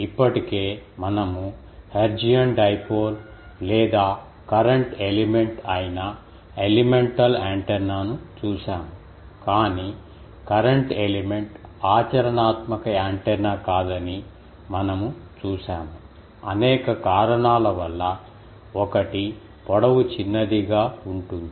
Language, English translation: Telugu, Already, we have seen the elemental antenna that is hertzian dipole or current element, but we have seen the time that current element is not a practical antenna; because of several reasons, one was that it is length is infinite decimal